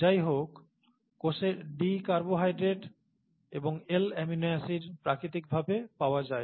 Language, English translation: Bengali, And by the way, in nature in the cell, there are D carbohydrates and L amino acids naturally occurring